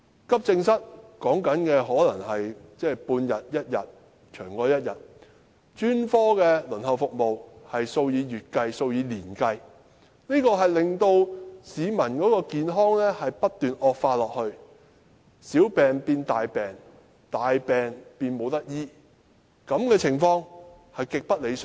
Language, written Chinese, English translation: Cantonese, 急症室輪候的時間可能是半天或一天，甚或長過一天，而專科服務的輪候時間則是數以月計、數以年計，令市民的健康不斷惡化，小病變大病，大病變無法治癒，這情況極不理想。, The waiting time at AE departments may be half or one day sometimes more than one day . As for specialist services the waiting time counts months or years . During the wait the condition of patients deteriorates where minor diseases turn serious and serious diseases become incurable